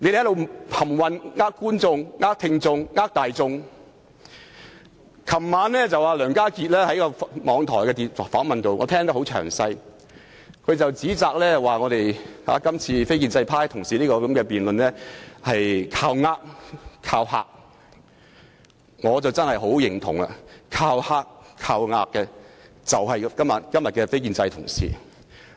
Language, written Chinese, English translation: Cantonese, 昨晚，我詳細收聽了梁家傑接受網台的訪問，他指責我們建制派同事的辯論是"靠呃"、"靠嚇"，我真的十分認同，"靠呃"、"靠嚇"的就是今天的非建制派同事。, Last night I listened attentively to an interview of Mr Alan LEONG in an online radio programme . He criticized that the speeches made by pro - establishment colleagues during the debates only sought to threaten and to deceive . I cannot agree more because to deceive and to threaten were exactly what non - establishment colleagues are doing today